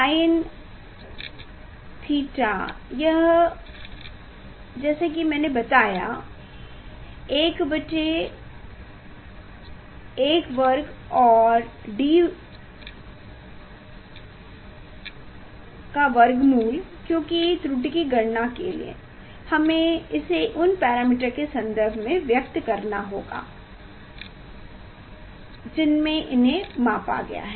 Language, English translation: Hindi, 1 by sin theta is this one as I showed you square root of l square plus d square by l; because we have to express the parameter in terms of parameter which you have measured to calculate the error